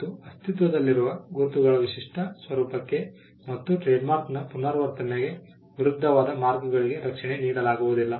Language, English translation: Kannada, Marks that are detrimental to the distinctive character of an existing mark and against the repetition of a trademark will not be granted protection